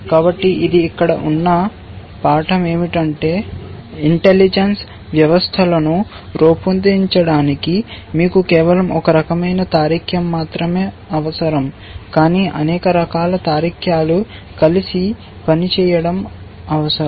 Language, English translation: Telugu, So, which is the, thus the lesson here is that to build intelligence systems, you need not just one form of reasoning, but many forms of reasoning working together